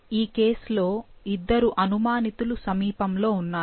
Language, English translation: Telugu, So, in this case, there were two suspects, which in the vicinity